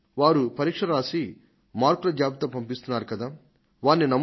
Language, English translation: Telugu, We should trust the person who has given the exams and submitted the marks